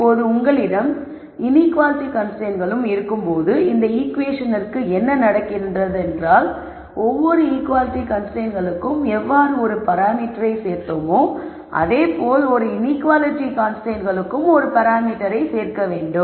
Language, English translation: Tamil, Now, when you also have inequality constraints, what happens to this equation is, just like how we added a single parameter for every equality constraint, we add a parameter for each inequality constraints